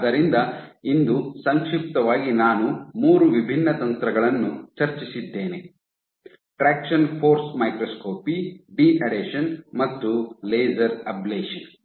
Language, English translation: Kannada, So, that just to summarize today I have discussed three different techniques; traction force microscopy, deadhesion and laser ablation